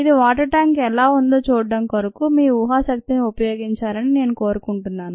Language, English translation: Telugu, here i would like you to use your imagination to see how this is ah water tanker